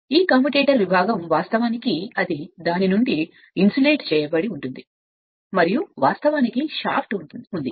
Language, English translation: Telugu, This commutator segment actually they are insulated from themselves right and their they actually that shaft is there